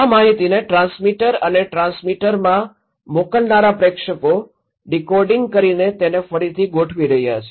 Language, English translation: Gujarati, Senders passing this informations to the transmitter and transmitter is decoding and recoding